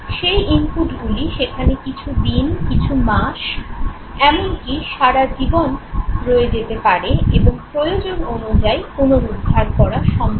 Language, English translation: Bengali, They may remain here for days, months, or even lifelong, and can be retrieved as and when needed